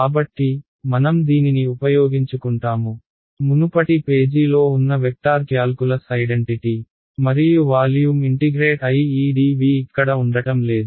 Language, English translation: Telugu, So, we will we will make use of this, going back to what the vector calculus identity we had on the previous page was this right and that integrated over volume this is dv is missing over here right